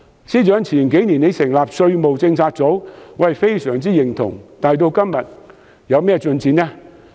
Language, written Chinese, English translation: Cantonese, 司長在數年前成立稅務政策組，對此我相當認同，但該小組的工作至今有何進展？, I supported the Financial Secretarys move to set up the Tax Policy Unit years ago . Yet what has the Unit achieved so far?